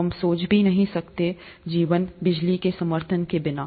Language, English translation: Hindi, We cannot even think of a life without support from electricity